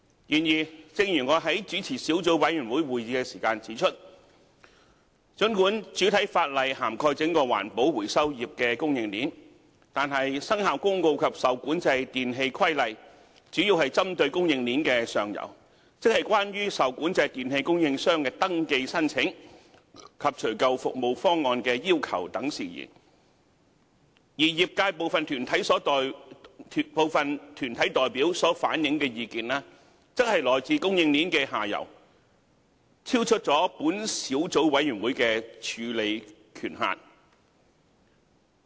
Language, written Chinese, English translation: Cantonese, 然而，正如我在主持小組委員會會議時指出，儘管主體法例涵蓋整個環保回收業的供應鏈，但《生效公告》及《受管制電器規例》主要是針對供應鏈的上游，即關於受管制電器供應商的登記申請及除舊服務方案的要求等事宜，而業界部分團體代表所反映的意見，則來自供應鏈的下游，超出小組委員會的處理權限。, Nevertheless as I pointed out at a Subcommittee meeting chaired by me although the entire supply chain of the recycling trade is covered by the primary legislation the Commencement Notice and the REE Regulation pinpoint mainly the upstream supply chain namely matters related to the registration applications made by suppliers of REE and requirements for removal service proposals and so on the views relayed by some trade deputations came from the downstream supply chain which are beyond the remit of the Subcommittee